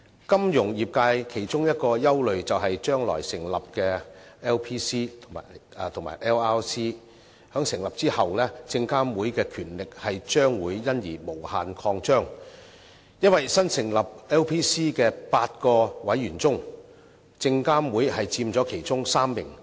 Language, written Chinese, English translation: Cantonese, 金融業界其中一個憂慮，是將來成立的 LPC 及 LRC 在成立後，證監會的權力將會因而無限擴張，因為新成立 LPC 的8名委員中，證監會佔其中3名。, One of the concerns of the financial sector is that the establishment of LPC and LRC may enable SFC to increase its power endlessly because SFC will have three seats out of the total eight seats on LPC